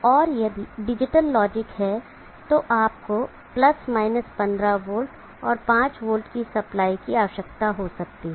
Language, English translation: Hindi, Or if there are digital logic then you may need + 15v and 5v supply